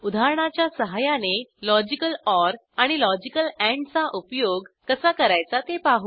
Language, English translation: Marathi, Let us learn the usage of Logical OR and Logical AND using an example